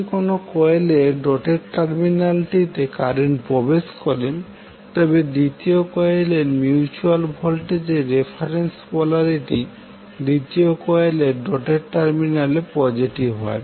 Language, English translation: Bengali, Now if the current leaves the doted terminal of one coil the reference polarity of the mutual voltage in the second coil is negative at the doted terminal of the coil